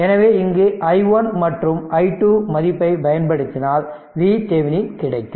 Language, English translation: Tamil, So, put i 1 value i 2 value we will get V thevenin